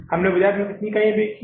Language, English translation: Hindi, We have sold how many units in the market